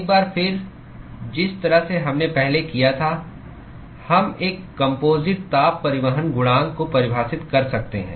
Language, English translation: Hindi, Once again, the way we did before, we could define an overall heat transport coefficient